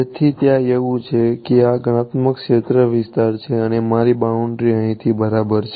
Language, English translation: Gujarati, So, there is that is a computational domain like this and this is my boundary over here ok